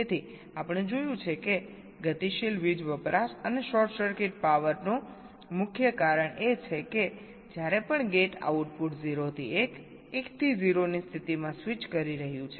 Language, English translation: Gujarati, so we have seen that the main reason for dynamic power consumption, and also the short circuits power, is whenever the gate output is switching state zero to one, one to zero